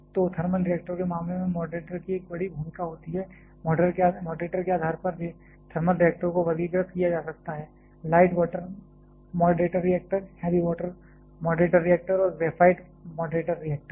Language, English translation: Hindi, So, there is a big role of moderator in case of thermal reactors, based upon moderator thermal reactors can be classified as; the light water moderator reactor, heavy water moderator reactor and graphite moderator reactor